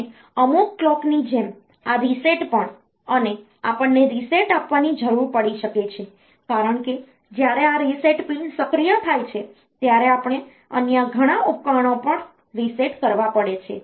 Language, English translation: Gujarati, And some and as similar to the clock this reset also we may need to give a reset out because when this reset pin is activated maybe we may have to reset many other devices as well